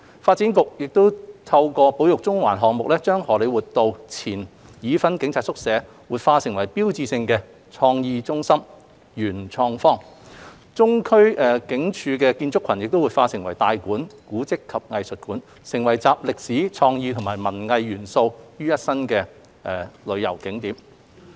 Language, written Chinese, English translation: Cantonese, 發展局亦透過"保育中環"項目，將荷李活道前已婚警察宿舍活化為標誌性的創意中心 ―PMQ 元創方，中區警署建築群亦活化為"大館―古蹟及藝術館"，成為集歷史、創意及文藝元素的旅遊景點。, Through the Conserving Central initiative DEVB has also revitalized the former Police Married Quarters on Hollywood Road into a creative hub the PMQ and also the Central Police Station Compound into the Tai Kwun―Centre for Heritage and Arts which have become tourist attractions with historical creative and artistic elements